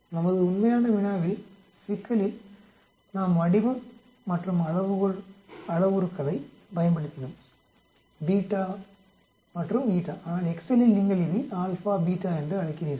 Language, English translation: Tamil, In our original problem we used a shape and scale parameters beta and eta but in Excel say you call it alpha, beta